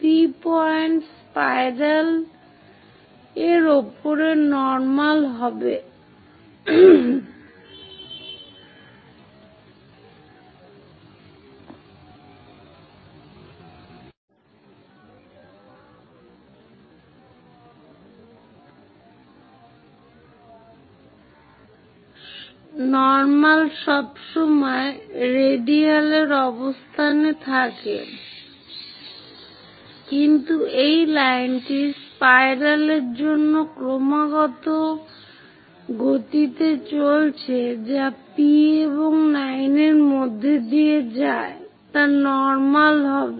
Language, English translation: Bengali, To the circle, the normal is always in the radial location, but for this spiral which is continuously moving the line which pass through P and N will be normal